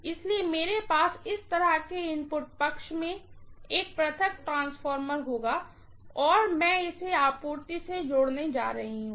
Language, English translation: Hindi, So what I will have is an isolation transformer in the input side like this and I am going to connect this to the supply